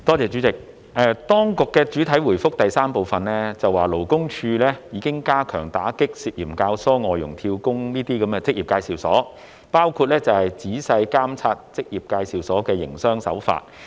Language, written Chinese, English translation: Cantonese, 主席，當局在主體答覆第三部分表示，勞工處已經加強打擊涉嫌教唆外傭"跳工"的職業介紹所，包括仔細監察職業介紹所的營商手法。, President the authorities have stated in part 3 of the main reply that LD has already strengthened its efforts in combating suspected inducement of FDH job - hopping by EAs including closely monitoring the business practice of EAs